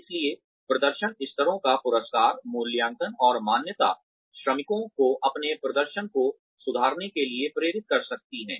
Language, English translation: Hindi, So, rewards, assessment and recognition of performance levels, can motivate workers, to improve their performance